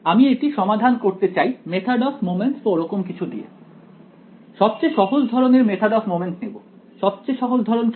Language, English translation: Bengali, I want to solve this by something like method of moments and will take the simplest kind of method of moments; what is the simplest kind